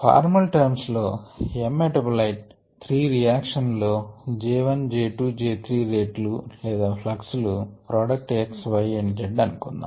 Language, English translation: Telugu, so in in formal terms, if m metabolite under goes, three reactions with rates j one, j two and j three, or fluxes j one, j two and j three